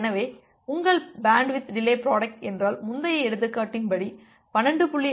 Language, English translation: Tamil, So that way, if your bandwidth delay product is, according to the earlier example is 12